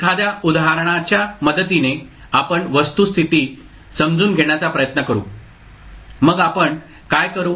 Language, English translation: Marathi, We will try to understand the fact with the help of an example, so what we will do